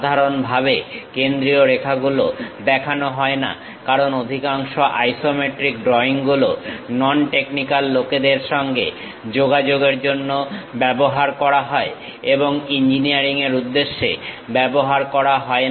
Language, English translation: Bengali, Normally, center lines are not shown; because many isometric drawings are used to communicate to non technical people and not for engineering purposes